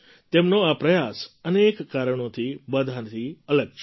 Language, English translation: Gujarati, This effort of his is different for many reasons